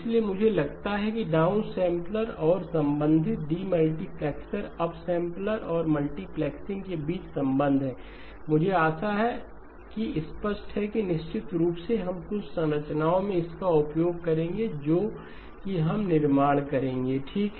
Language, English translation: Hindi, So I think the relationship between downsampler and the corresponding demultiplexing, the upsampler and the multiplexing, I hope is clear and definitely we will utilise this in some of the structures that we will build up okay